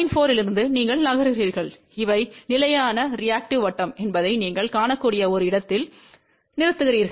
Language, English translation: Tamil, 4, you move and you stop at a point where you can see that these are the constant reactive circle